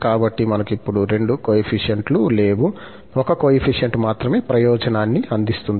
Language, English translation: Telugu, So, we do not have two coefficients now, only one coefficient is serving the purpose